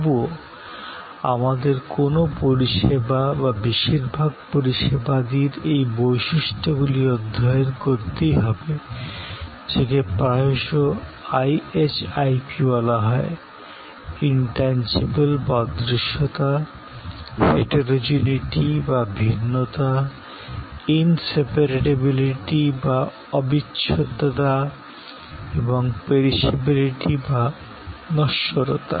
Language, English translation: Bengali, But, yet we must study these characteristics of any service or most services, which are often called IHIP or IHIP acronym for Intangibility, Heterogeneity, Inseparability and Perishability